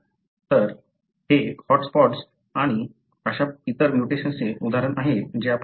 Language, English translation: Marathi, So, this is the example of, the hot spots and other such mutations that we have looked at